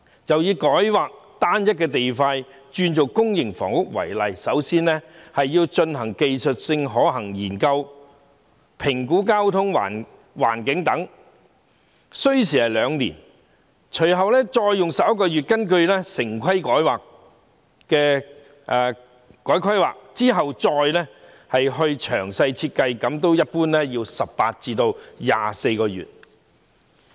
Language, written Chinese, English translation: Cantonese, 就以改劃單一塊土地作公營房屋為例，首先要進行技術可行性研究以作交通、環境等評估，這需時兩年；隨後用11個月的時間根據《城市規劃條例》改劃用地，再進行詳細設計，這一般需時18至24個月。, In the example of rezoning a single land parcel for the development of public housing the first step is to conduct a technical feasibility study to assess the impact on transport environment etc which takes two years . Then it takes another 11 months to rezone the land parcel in accordance with the Town Planning Ordinance . The next step is to carry out detailed designs and this usually takes 18 to 24 months